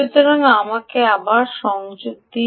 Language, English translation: Bengali, so let me connect back